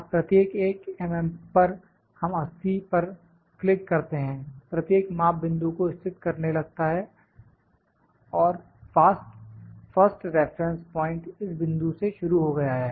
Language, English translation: Hindi, Now, at each 1 mm can we click is 80 click each one measure start locating the point the first reference point is has started from this point